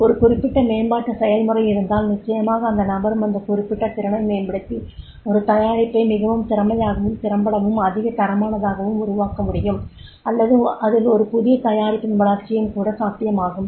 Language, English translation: Tamil, If there is a particular development process then definitely in that case also the person can enhance that particular skill and develop a product more efficiently, more effectively, more qualitatively or it can be a new product development also, so that is also possible